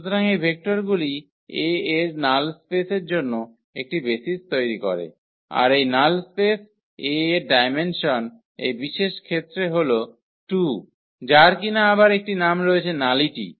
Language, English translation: Bengali, So, these vectors form a basis for the null space of A and the dimension of this null space of A in this particular case its 2 which is again has a name is called nullity